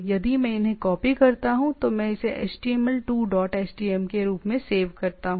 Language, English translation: Hindi, Say if I copy these, file save as let me save as a html 2 dot htm, save